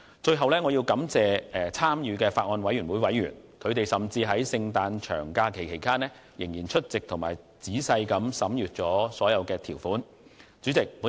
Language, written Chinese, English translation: Cantonese, 最後，我感謝法案委員會的委員，他們甚至在聖誕節長假期間仍抽空出席會議及仔細審閱相關條款。, Lastly I thank members of the Bills Committee who have taken time to attend the meetings even during Christmas holidays and carefully reviewed the relevant provisions